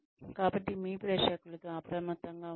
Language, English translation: Telugu, So be alert to your audience